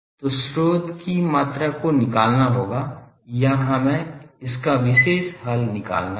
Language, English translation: Hindi, So, the source quantity will have to find or we will have to have the particular solution for this